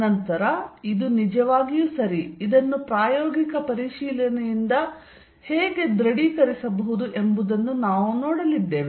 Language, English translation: Kannada, Then, we are going to see how this can be confirmed that this is really true, experimental verification